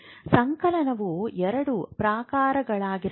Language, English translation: Kannada, A summation can be of two type